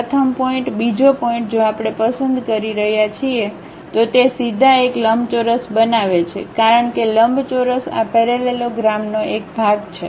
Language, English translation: Gujarati, First point, second point, if we are picking, then it construct directly a rectangle because rectangle is part of this parallelogram